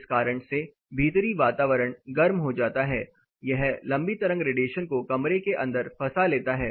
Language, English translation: Hindi, Because of this reason the indoor environments get heated up, this long wave radiations are trapped inside the room